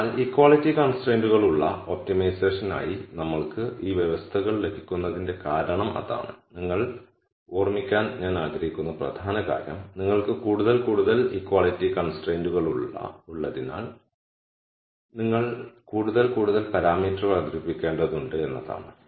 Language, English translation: Malayalam, So, that is the reason why we get these conditions for optimization with equality constraints the key point that I want you to remember is that as you have more and more equality constraints you will have to introduce more and more parameters lambda 1 lambda 2 and so on